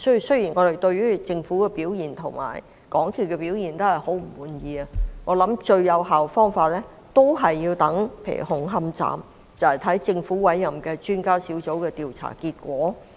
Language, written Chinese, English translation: Cantonese, 雖然我們對政府及港鐵公司的表現非常不滿，但就紅磡站的事件而言，我認為最有效的方法是等待政府委任的專家小組的調查結果。, We are very unhappy with the performance of the Government and MTRCL but insofar as the Hung Hom Station incident is concerned I think the most effective way is to wait for the findings of the Expert Adviser Team appointed by the Government